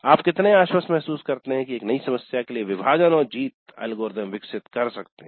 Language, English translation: Hindi, How confident do you feel in developing a divide and conquer algorithm for a new problem